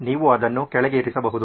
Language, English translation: Kannada, You can put that down as well